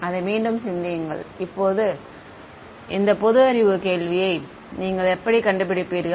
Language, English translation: Tamil, Think over it again this is the common sense question how would you figure out